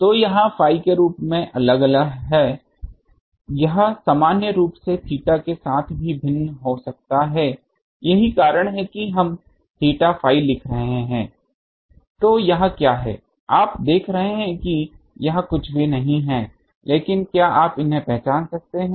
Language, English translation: Hindi, So, this is varying as the phi in general it can vary also with theta that is why we are writing theta phi what is this you see this is nothing but, can you recognize these